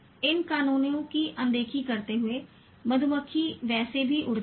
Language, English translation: Hindi, Ignoring these laws, the bee flies any way